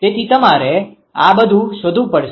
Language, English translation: Gujarati, So, you have to find out all these right